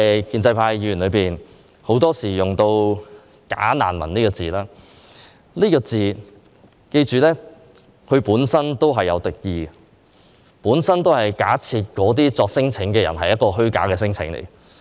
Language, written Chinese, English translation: Cantonese, 建制派議員很多時候用"假難民"這個詞語，請記着，這個詞語本身帶有敵意，是假設那些免遣返聲請申請者作出虛假的聲請。, Members from the pro - establishment camp often use the term bogus refugees but please remember that this term itself is hostile as it is assumed that those non - refoulement claimants have filed false claims